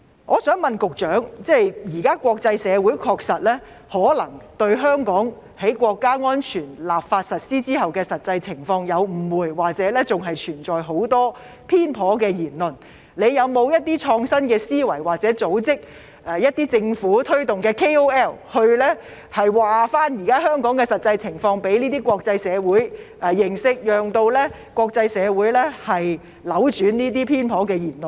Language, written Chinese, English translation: Cantonese, 我想請問局長，現時國際社會可能對香港在《香港國安法》制定實施後的實際情況有誤會，或仍然存在很多偏頗言論，政府有否創新思維，組織推動一些 KOL， 將香港現在的實際情況告知國際社會，令國際社會扭轉這些偏頗言論？, May I ask the Secretary whether as the international community may have misunderstandings about the actual situation of Hong Kong or a lot of biased remarks are still being made following the enactment and implementation of the National Security Law the Government will think outside the box and organize some key opinion leaders to inform the international community of the actual situation in Hong Kong so as to reverse such biased remarks from the international community?